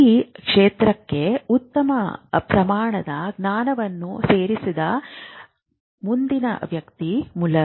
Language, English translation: Kannada, The next person to add to this information and knowledge was Mueller